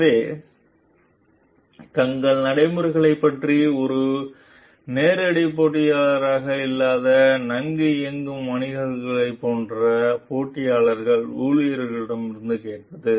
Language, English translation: Tamil, So, asking competitor employees of like well run businesses which is not a direct competitor about their practices